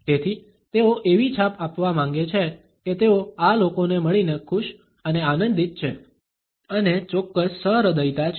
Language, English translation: Gujarati, So, they want to pass on the impression that they are happy and amused to meet these people and there is a certain playfulness